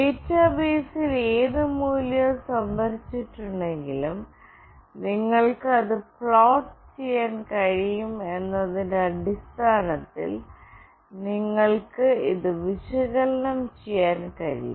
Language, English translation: Malayalam, And whatever value is stored in the database, you can actually analyze it based on that you can plot that as well